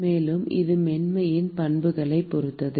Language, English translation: Tamil, And it depends upon the smoothness properties